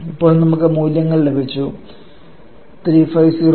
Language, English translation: Malayalam, Now we have just got this values 6394 minus 4650 minus it is 8